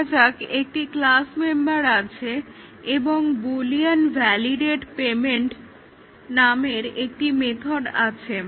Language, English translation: Bengali, Let say, we have a class member and then we have a method here, let say Boolean validate payment